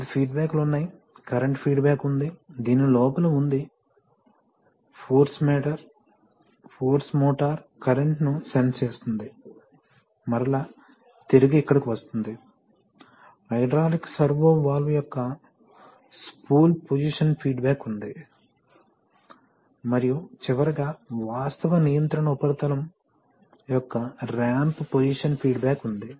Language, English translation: Telugu, So there are various feedbacks, there is a current feedback which is which is inside this, which is inside this, force motor current is sensed and fed back here, then there is a spool position feedback of the hydraulic servo valve spool and finally there is a ramp position feedback of the of the actual control surface